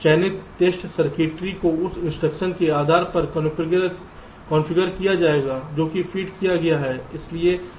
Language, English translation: Hindi, the selected test circuitry will get configured accordingly, depending on the instruction which has been fed in